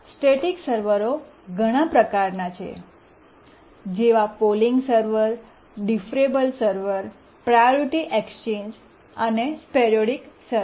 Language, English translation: Gujarati, There are several types of static servers, the polling server, deferable server, priority exchange and sporadic server